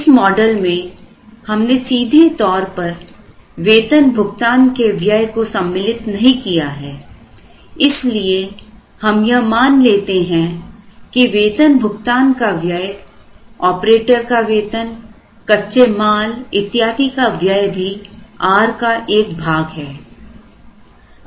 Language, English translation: Hindi, Now, in this model we have not explicitly used the payroll, so we assume that pay roll as also a part of this r the salary to the operator who is working plus it will have certain raw material cost plus it will have some cost of consumable and so on